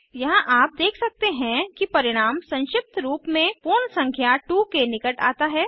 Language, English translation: Hindi, Here you can see the result is truncated to the nearest whole number which is 2